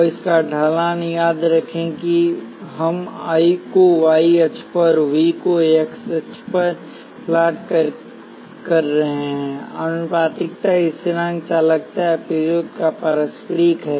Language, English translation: Hindi, And the slope of this, remember we are plotting I on the y axis, V on the x axis; the proportionality constant is the conductance or the reciprocal of resistance